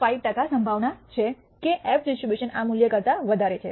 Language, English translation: Gujarati, 5 percent probability that this f distribution is less than this value